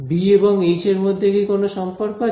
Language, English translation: Bengali, Yes; is there a relation between B and H